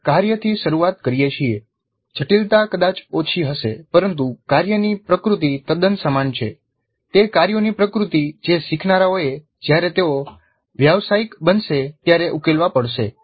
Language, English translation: Gujarati, We start with the task the complexity may be low but the nature of the task is quite similar to the nature of the tasks that the learners would have to solve when they become profession